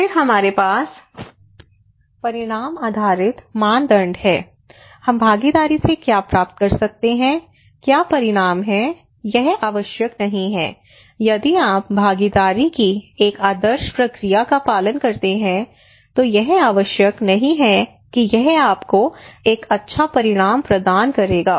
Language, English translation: Hindi, Then we have outcome based criteria; these are participations from what we can achieve from the participations what are the outcomes it not necessary that if you follow a particular process an ideal process of participation it not necessary that it would deliver you a good outcome good effective outcome